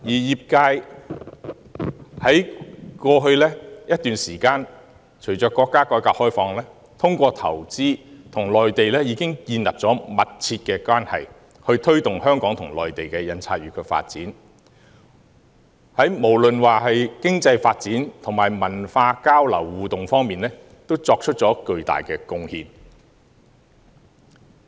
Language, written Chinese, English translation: Cantonese, 商會在過去一段時間，隨着國家改革開放，透過投資，與內地建立了密切關係，推動香港與內地印刷業的發展，無論是在經濟發展及文化交流互動方面，均作出了巨大貢獻。, With the reform and opening up of our country HKPA has established close ties with the Mainland and promoted the development of the printing industry of Hong Kong and the Mainland through investment . HKPA has made great contributions in terms of economic development and cultural exchange and interaction